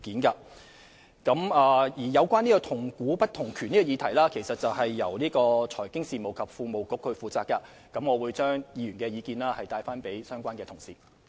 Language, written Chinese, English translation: Cantonese, 有關"同股不同權"的議題由財經事務及庫務局負責，我會把議員的意見轉達相關同事。, The issue of weighted voting rights is under the charge of the Financial Services and the Treasury Bureau . I will convey the Honourable Members views to the colleagues concerned